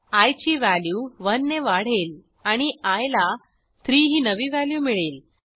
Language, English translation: Marathi, i is then incremented by 1 and then the new value of i is 3